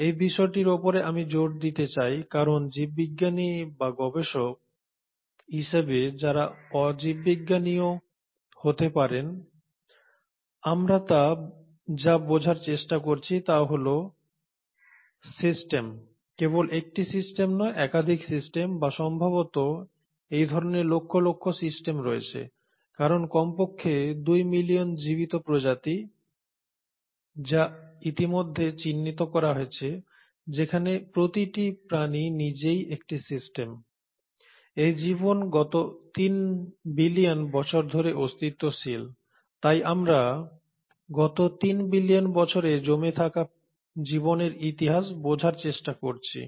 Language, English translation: Bengali, And I want to keep stressing on this point because what as biologist or as researchers who may be non biologist as well, what we are trying to understand are systems and not just one system, multiple systems or probably millions of these systems because there are at least 2 million living species which have been already identified each species being a system by itself that this life has been in existence for last 3 billion years so we are trying to understand the history of life which has accumulated in last 3 billion years